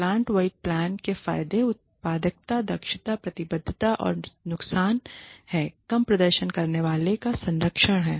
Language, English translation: Hindi, The advantages of plant wide plans are productivity, efficiency, commitment and the disadvantages are protection of low performers